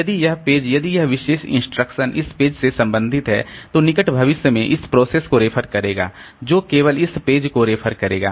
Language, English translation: Hindi, So, if this page, if this particular instruction belongs to say this particular page, then in the near future, so this will be referring to the program process will be referring to this page only